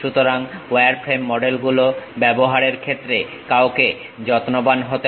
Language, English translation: Bengali, So, one has to be careful in terms of using wireframe models